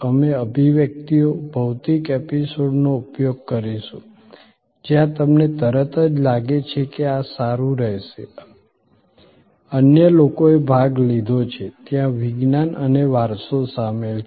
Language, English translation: Gujarati, We will use expressions, physical episodes, where you immediately feel that this will be good, other people have taken part, there is science and heritage involved